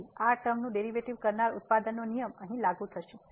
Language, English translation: Gujarati, So, the derivative of this term will be the product rule will be applicable here